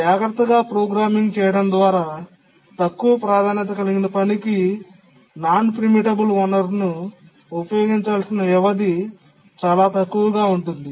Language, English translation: Telugu, So, through careful programming, the duration for which a low priority task needs to use the non preemptible resource can be made very small